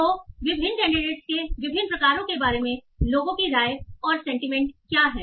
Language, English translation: Hindi, So what are the people's opinions and sentiments about different sort of different candidates